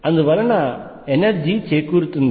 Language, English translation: Telugu, And so, does the energy